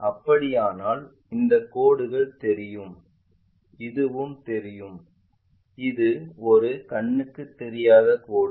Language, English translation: Tamil, In that case these lines will be visible this one also visible and this one is invisible line